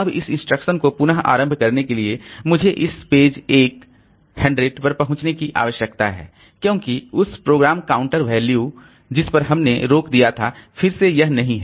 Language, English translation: Hindi, Now to restart the instruction again I need to access this page 100 because that was the program counter value at which is stopped but again this is not there